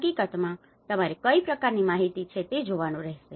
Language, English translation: Gujarati, In fact, one has to look at what kind of information do you have